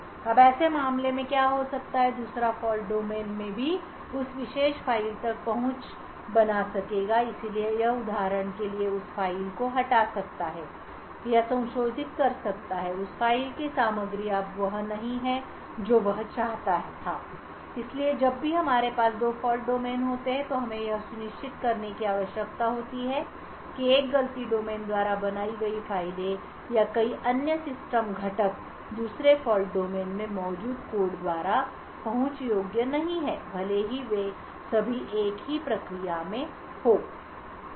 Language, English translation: Hindi, Now what could happen in such a case is that the second fault domain would also be able to have access to that particular file, so it could for example delete that file or modify that the contents of that file now this is not what is wanted, so whenever we have two fault domains we need to ensure that files or any other system component that is created by one fault domain is not accessible by the code present in the second fault domain even though all of them are in the same process